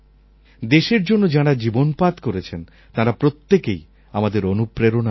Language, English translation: Bengali, Everyone who lives and dies for our nation inspires us